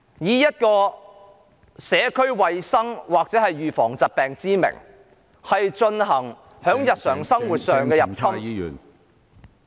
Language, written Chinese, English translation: Cantonese, 特區政府以社區衞生或預防疾病之名，在日常生活上入侵......, On the pretext of community health or disease prevention the SAR Government intrudes into the daily life